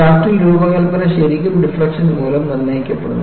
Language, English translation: Malayalam, So, in a shaft design is really a dictated by the deflection